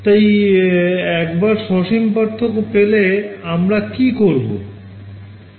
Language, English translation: Bengali, So, once we had the finite differences what could we do